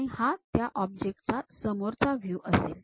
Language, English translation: Marathi, And this is one view of that object, the frontal view